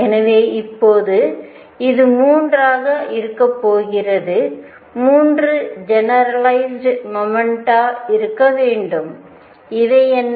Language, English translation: Tamil, So now, there are going to be 3, to be 3 generalized momenta and what are these